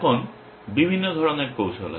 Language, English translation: Bengali, Now, there are different kinds of strategies